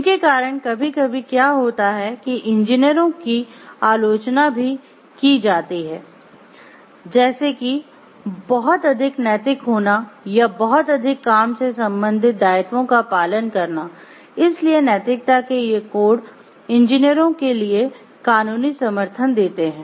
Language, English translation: Hindi, So, sometimes what happen some engineers get criticized like being too much ethical or too like following too much of work related obligations, so these codes of ethics gives a legal support for the engineers